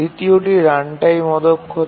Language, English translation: Bengali, The second is runtime inefficiency